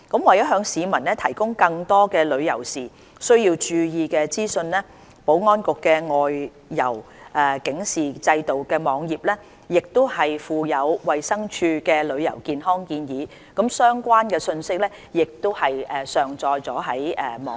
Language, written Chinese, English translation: Cantonese, 為了向市民提供更多旅遊時需要注意的資訊，保安局的"外遊警示制度"網頁亦附有衞生署的旅遊健康建議，有關的訊息亦已上載至該網頁。, To provide more information for the publics attention when travelling outside Hong Kong the Security Bureau has uploaded the travel health advice from DH onto its web page on OTA